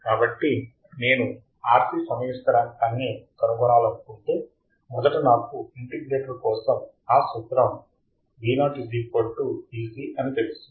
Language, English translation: Telugu, So, if I want to find the R C time constant, first I know that my formula for integrator is Vo equals to V c right here